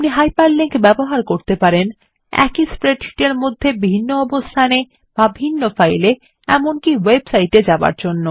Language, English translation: Bengali, You can use Hyperlinks to jump To a different location within a spreadsheet To different files or Even to web sites